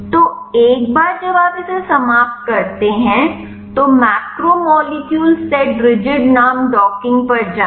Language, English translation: Hindi, So, once you finish this go to docking macromolecule set rigid name